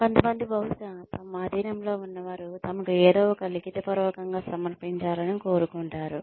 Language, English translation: Telugu, Some people will probably, want their subordinates to submit, something in writing to them